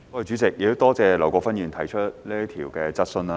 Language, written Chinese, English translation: Cantonese, 主席，多謝劉國勳議員提出這項質詢。, President I thank Mr LAU Kwok - fan for proposing this question